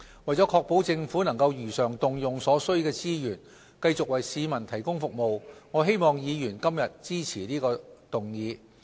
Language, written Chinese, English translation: Cantonese, 為確保政府能如常動用所需的資源繼續為市民提供服務，我希望議員今天支持這項議案。, In order to ensure that Government has the necessary resources to continue those services provided to the public I urge Members to support the motion today